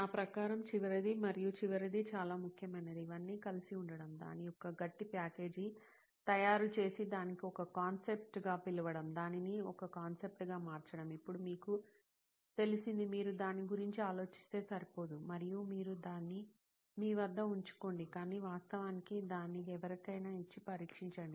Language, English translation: Telugu, The last and final the most important according to me is to put it all together, make a tight package of it and call it a concept, make it a concept, now you have, it is not enough if you think of it, and you keep it in with you, but actually give it to somebody and test it